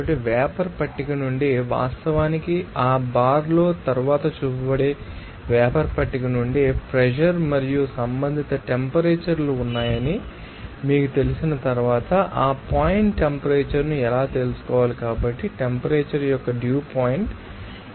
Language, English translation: Telugu, So, from the steam table that will be actually shown later on that bar from the steam table how to you know to find out that dew point temperature once you know that pressure and the respective temperatures are there, so, the dew point of the temperature at that 0